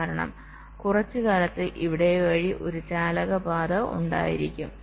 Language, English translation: Malayalam, alright, because there will be a conducting path through here for sometime